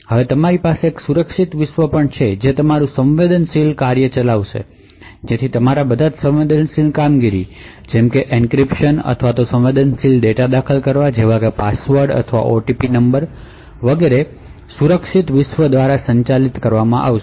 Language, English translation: Gujarati, Now you would have a secure world as well which would run your sensitive task so all your sensitive operations such as for example encryption or entering sensitive data like passwords or OTP numbers would be handled by the secure world